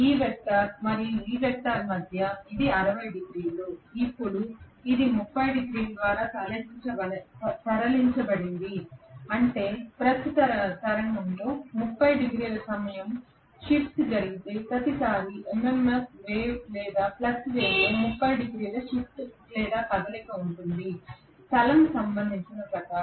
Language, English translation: Telugu, Between this vector and this vector, this was 60 degrees this was now moved by 30 degrees that means every time the time shift take place by 30 degrees in the current wave, there is a 30 degrees shift or movement in the MMF wave or the flux wave as per as the space is concerned